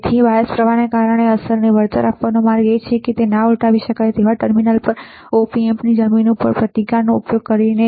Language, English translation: Gujarati, So, a way to compensate the effect due to bias current is by using a resistance at their non inverting terminal to the ground of an op amp ok